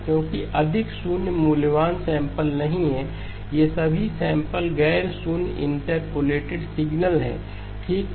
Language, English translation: Hindi, Because there are no more zero valued samples, all of these samples are non zero interpolated signal okay